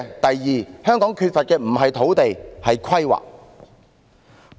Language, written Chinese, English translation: Cantonese, 第二，香港缺乏的不是土地而是規劃。, Second what Hong Kong lacks is not land but planning